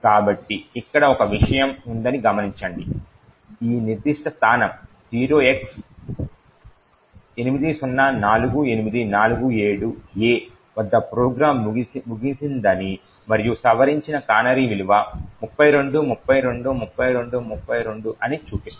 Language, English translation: Telugu, So, note that there is one thing over here it shows that the program has terminated at this particular location 0x804847A and the value of the canary which has been modified was 32, 32, 32, 32